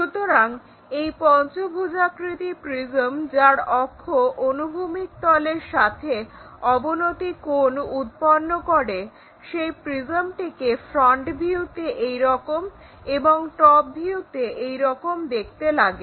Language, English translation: Bengali, So, this pentagonal prism which iswhose axis is making an inclination angle with the horizontal plane in the front view looks like that and in the top view looks like that